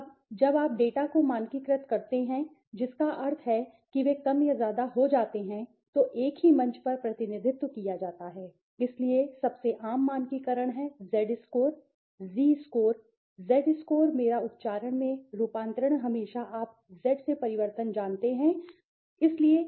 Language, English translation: Hindi, Now when you standardize the data that means what they become more or less are represented on a single platform right,so the most common standardization is the conversion into the Z score, Zee score , Z score my pronunciation always is you know changes from Z and Zee please do not confuse